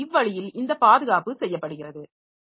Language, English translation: Tamil, So, so that that's how this protection is done